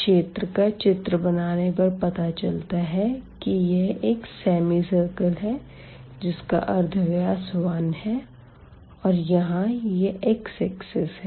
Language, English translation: Hindi, So, if you draw the region here that will be this half circle with radius 1 and then we have here the x axis